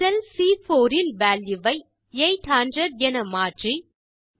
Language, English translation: Tamil, Again, lets decrease the value in cell C4 to 800